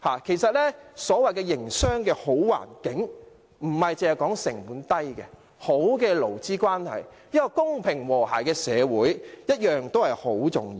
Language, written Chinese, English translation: Cantonese, 其實，所謂良好的營商環境，並非單指成本低，良好的勞資關係、一個公平和諧的社會也同樣十分重要。, In fact a so - called business - friendly environment refers not only to low costs and good labour relations but also a fair and harmonious society which is equally important